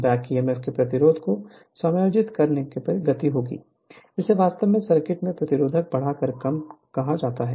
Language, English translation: Hindi, So, so by the adjusting the resistance of the back Emf hence, the speed will be your, what you call reduced by increasing the resistance in the circuit